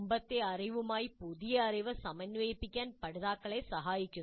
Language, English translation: Malayalam, Help the learners integrate the new knowledge with the previous knowledge